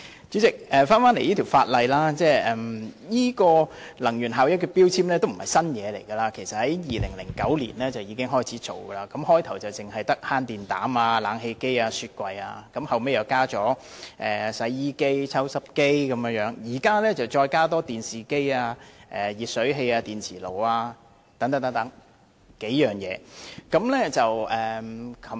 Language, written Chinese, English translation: Cantonese, 主席，強制性能源效益標籤計劃並非新事物，計劃在2009年已開始推行，初期只涵蓋慳電膽、冷氣機和雪櫃，後來納入洗衣機、抽濕機，現在再納入電視機、儲水式電熱水器和電磁爐等數種電器。, President the Mandatory Energy Efficiency Labelling Scheme MEELS is nothing new and it was launched in 2009 . In its initial phase MEELS only covered compact fluorescent lamps room air conditioners and refrigerating appliances . Later washing machines and dehumidifiers were included and now a number of electrical appliances such as televisions; storage type electric water heaters; and induction cookers are also included